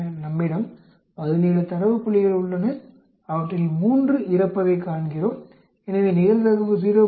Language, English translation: Tamil, We have 17 data points and we see 3 of them die so the probability is 0